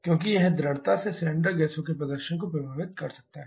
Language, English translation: Hindi, Because this strongly can affect the performance of the cylinder gases